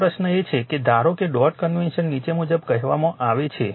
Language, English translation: Gujarati, Now, question is that suppose dot convention is stated as follows